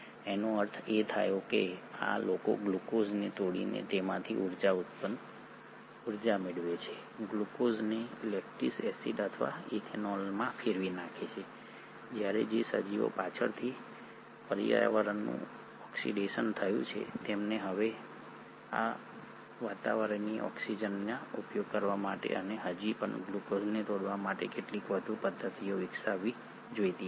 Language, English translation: Gujarati, That means these guys are able to still obtain energy from glucose by breaking it down, glucose into lactic acid or ethanol, while those organisms which later ones the environment became oxidised they should have developed some more mechanism to now utilise that atmospheric oxygen and still break down glucose